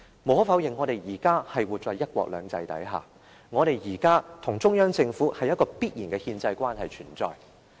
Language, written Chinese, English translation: Cantonese, 無可否認，我們現時生活在"一國兩制"之下，我們現時與中央政府之間存有一種必然的憲制關係。, It is undeniable that we now live under one country two systems . Inevitably there exists a constitutional relationship between us and the Central Government